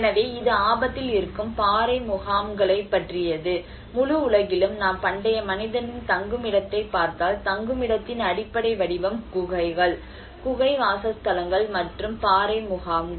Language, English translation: Tamil, \ \ So, this is about rock shelters at risk; and in the whole world if we look at the ancient man's shelter, the very basic form of shelter is the caves, you know the cave dwellings and the rock shelters